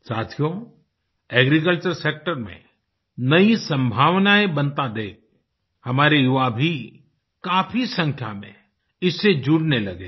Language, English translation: Hindi, Friends, with emerging possibilities in the agriculture sector, more and more youth are now engaging themselves in this field